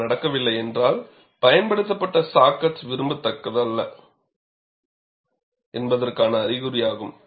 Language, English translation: Tamil, If it does not happen, it is an indication that the saw cut which is used is not desirable